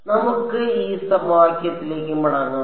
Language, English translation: Malayalam, So, let us go back to this equation